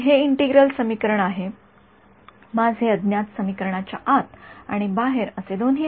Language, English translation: Marathi, So, this is the integral equation my unknown is both inside the equation and outside the equation right